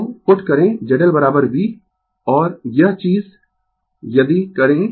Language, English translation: Hindi, So, put Z L is equal to V and this thing if you do